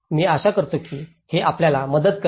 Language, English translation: Marathi, I hope this helps you